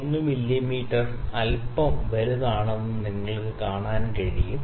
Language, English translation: Malayalam, 1 mm is a little larger